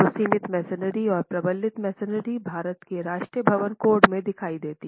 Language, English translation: Hindi, So confined masonry and reinforced masonry appear in the national building code of India